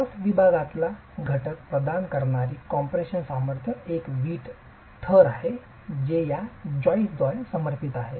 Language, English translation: Marathi, The compression strength providing element to the cross section is the brick layer that is supported by these joists